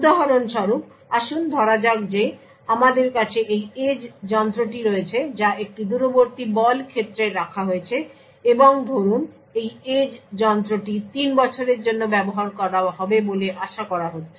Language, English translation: Bengali, For example, let us say that we have this edge device which is a put in a remote power plant and this edge device is expected to be used for say let us say for 3 years